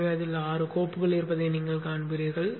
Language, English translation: Tamil, So you will see that it has the six files